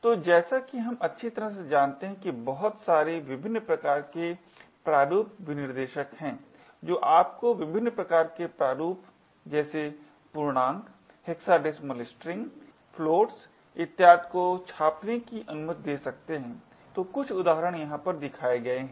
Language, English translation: Hindi, So, as we know very well that there are a lot of different types of formats specifiers which could let you print different types of formats such as integers, hexadecimal strings, floats and so on, so a few examples are as shown over here